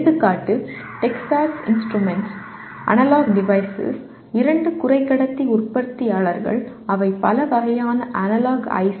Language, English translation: Tamil, Example Texas Instruments, Analog Devices are two semiconductor manufacturers making a wide variety of analog ICs